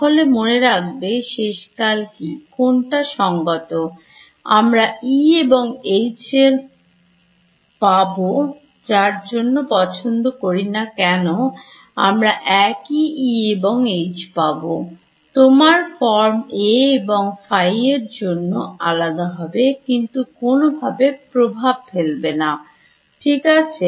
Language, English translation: Bengali, So, remember so, what finally, what should it be consistent with I should get this same E and H regardless of whatever choices I have made and you will get the same E and H, your form for A and phi will be different, but that does not matter ok